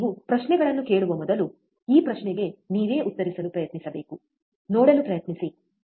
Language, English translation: Kannada, You bBefore you ask questions, you should try to answer this question by yourself, try to see, right